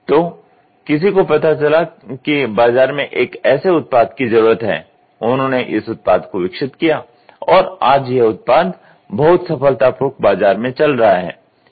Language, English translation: Hindi, So, somebody found out there is a market need they have developed this product today this product is very successfully moving, right